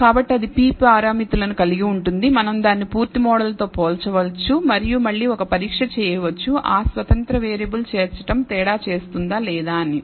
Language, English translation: Telugu, So, that will have p parameters, we can compare it with the full model and again perform a test to decide whether the inclusion of that independent variable makes a difference or not